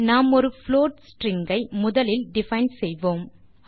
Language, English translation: Tamil, We define a float string first